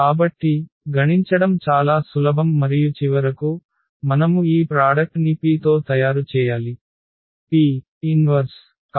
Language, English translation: Telugu, So, that is very simple to compute and then finally, we need to make this product with the P and the P inverse